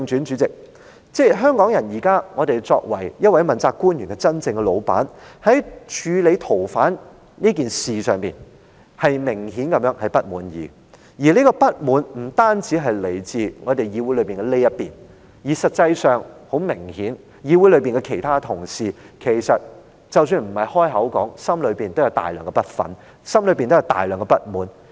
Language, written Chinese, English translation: Cantonese, 主席，言歸正傳，香港人作為這位問責官員的真正老闆，在處理逃犯問題一事上，明顯地感到不滿，當中的不滿不單來自議會內的這一邊，實際上，議會內其他同事雖然沒有說出口，但也明顯地存有大量不忿和不滿。, Chairman back to topic as the real bosses of this principal official the people of Hong Kong are obviously dissatisfied with the way the extradition issue is being handled . Such dissatisfaction is manifested not only by this side of the Council . In fact it is obvious that other colleagues are also filled with resentfulness and dissatisfaction though they have not voiced it out